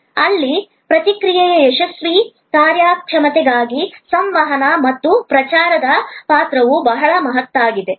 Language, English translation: Kannada, Here, also for successful performance of the process, the role of communication and promotion is very significant